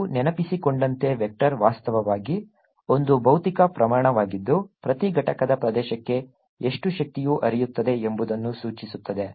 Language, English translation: Kannada, as you recall, pointing vector actually is a physical quantity which indicates how much energy per unit area is flowing